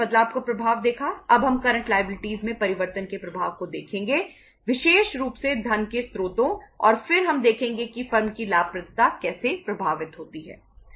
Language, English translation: Hindi, Now we will see the impact of change in the say current liabilities especially the sources of funds and then we see that how the profitability of the firm is impacted